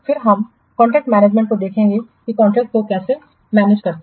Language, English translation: Hindi, Then we will see this contract management, how to manage the contracts